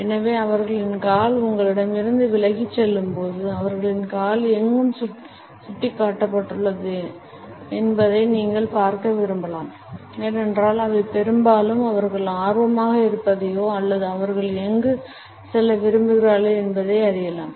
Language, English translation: Tamil, So, when their foot is pointed away from you; you might want to look where their foot is pointed because they are most likely it is in the general vicinity of what they are interested in or where they want to go